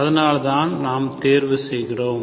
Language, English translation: Tamil, So that is why we are choosing